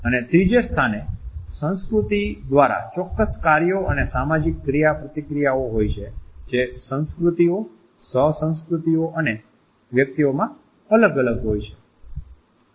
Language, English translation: Gujarati, And thirdly, through culture is specific tasks and social interactions that do vary across cultures, co cultures and individuals